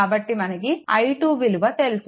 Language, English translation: Telugu, So, from this i 2 is known